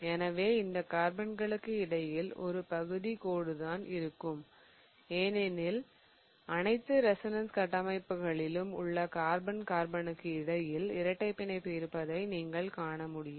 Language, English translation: Tamil, So, what I will have is a partial line between these carbons because as you can see that the double bond exists between the carbon carbon such that it exists in all the resonance structures